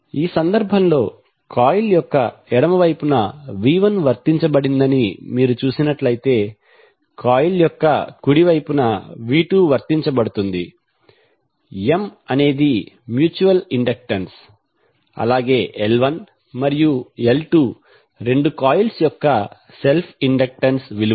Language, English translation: Telugu, So in this case, if you see v 1 is applied on the left side of the coil, v 2 is applied at the right side of the coil, M is the mutual inductance, L 1 and L 2 are the self inductances of both coils